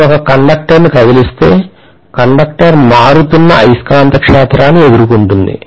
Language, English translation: Telugu, If I move a conductor, the conductor will face varying magnetic field